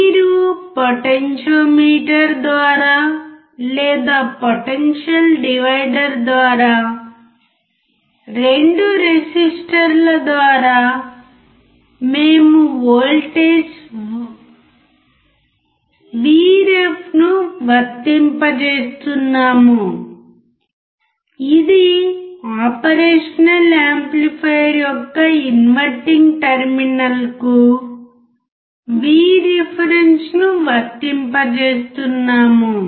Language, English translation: Telugu, You are applying Vref through the potentiometer or through the potential divider the 2 resistors we are applying voltage 1 which is V reference to the one terminal which is inverting terminal of the operational amplifier